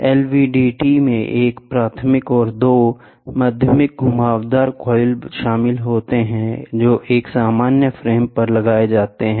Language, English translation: Hindi, The LVDT comprises of a primary this is primary and two secondary winding coils; that are mounted on a common frame, ok